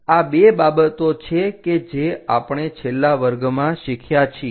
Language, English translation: Gujarati, These are the things what we have learned in the last class